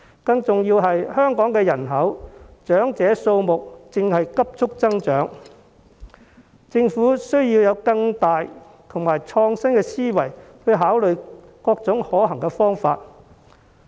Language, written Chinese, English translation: Cantonese, 更加重要的是，香港人口中長者的數目正急速增長，政府需要以更遠大和創新的思維去考慮各種可行方法。, More importantly the population in Hong Kong is ageing rapidly . The Government must come up with feasible solutions with more vision and innovation